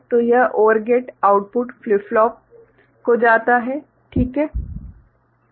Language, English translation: Hindi, So, this OR gate output goes to a flip flop ok